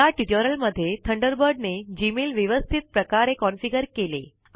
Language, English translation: Marathi, In this tutorial, Thunderbird has configured Gmail correctly